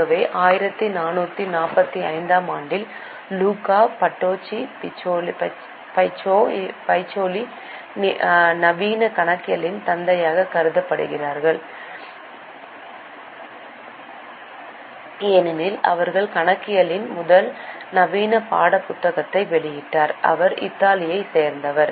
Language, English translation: Tamil, So, in 1445, we have Luca Pacioli, who is considered as a father of modern accounting because he published the first modern textbook of accounting